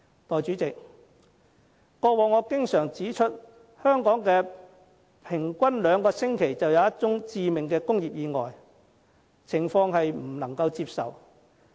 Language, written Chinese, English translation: Cantonese, 代理主席，過往我經常指出香港平均兩星期便有一宗致命工業意外，情況不能接受。, Deputy President I often point out that on average a fatal industrial accident takes place every two weeks in Hong Kong and this is unacceptable